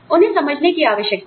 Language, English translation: Hindi, They need to be understood